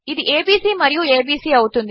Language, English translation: Telugu, This will be abc and abc